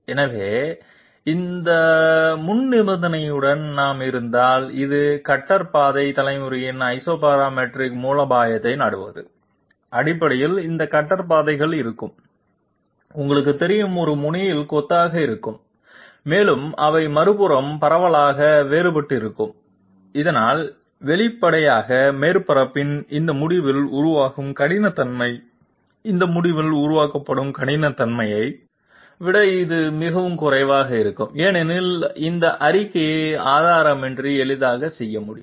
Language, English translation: Tamil, So if that be so, with that precondition, we will find that if we are this resorting to Isoparametric strategy of cutter path generation then essentially these cutter paths will be you know clustered at one end and they would be widely diverging at the other so that obviously the roughness which will be generated on this at this end of the surface, it will be much less than the roughness which will be created at this end because we can easily make this statement without proof by just observation that if the sidestep is higher, the resulting scallop height will also be higher